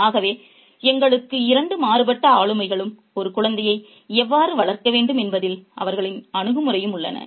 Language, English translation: Tamil, So, we have two very contrasting personalities and their attitude towards how a child should be raised